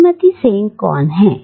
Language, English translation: Hindi, Who is Mrs Sen